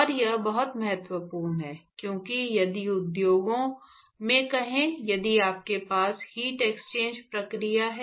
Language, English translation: Hindi, And it is very important, because if you have let us say let us say in industry, if you have a heat exchange process